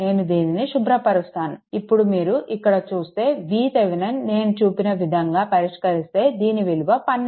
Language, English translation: Telugu, So, let me clear it so, if you come here that Thevenin V Thevenin here, the way I showed you it has been computed as your 12 volt right